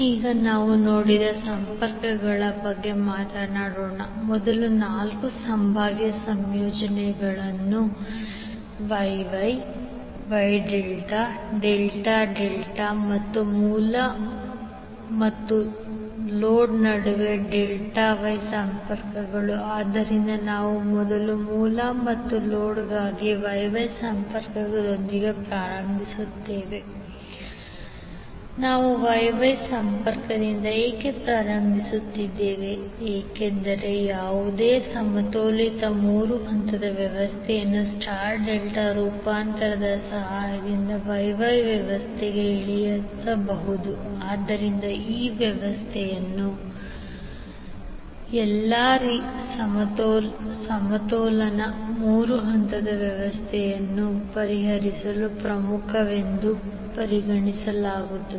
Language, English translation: Kannada, Now let us talk about the connections we saw that there are first four possible combinations that is Y Y, Y delta, delta delta and delta Y connections between source and load, so we will first start with Y Y connection for the source and load, why we are starting with Y Y connection because any balanced three phase system can be reduced to a Y Y system with the help of star delta transformation, so therefore this system is considered as a key to solve the all balance three phase system